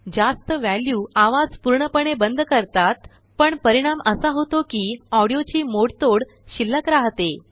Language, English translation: Marathi, Higher values will remove the noise completely but will result in distortion of the audio that remains